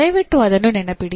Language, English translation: Kannada, Please remember that